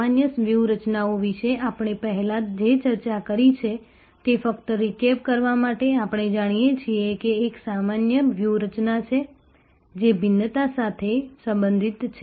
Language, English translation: Gujarati, Just to recap the discussion that we have had before about generic strategies, we know that there is one generic strategies, which relates to differentiation